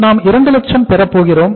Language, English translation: Tamil, So we are going to have 2 lakhs